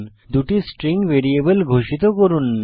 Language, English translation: Bengali, Declare 2 string variables